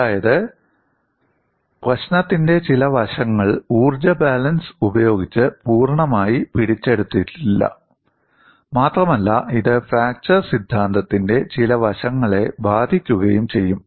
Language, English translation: Malayalam, That means some aspect of the problem was not fully captured by the energy balance, and it will hit some aspect of the fracture theory